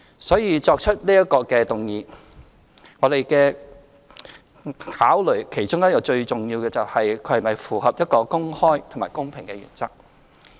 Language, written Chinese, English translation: Cantonese, 所以，提出這項議案，我們其中一個最重要的考慮，是其是否符合一個公開和公平的原則。, Hence one of our key considerations in moving this motion is whether it is consistent with the principles of openness and fairness